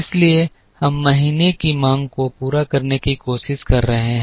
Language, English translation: Hindi, So, let us start with trying to meet the demand of month one